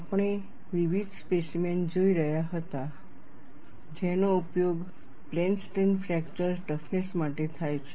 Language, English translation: Gujarati, We were looking at various specimens that are used for plane strain fracture toughness